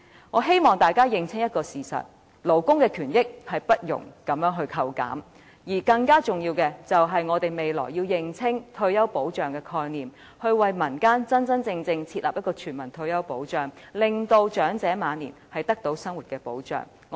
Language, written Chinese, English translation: Cantonese, 我希望大家認清一個事實，勞工權益不容這樣扣減，而更重要的是，我們要認清退休保障的概念，真真正正設立全民退休保障，令長者晚年的生活得到保障。, I want to make it clear that labour rights cannot be curtailed in this way . More importantly we should clearly understand the concept of retirement protection . We should really establish a universal retirement protection system so that the livelihood of the elderly can be protected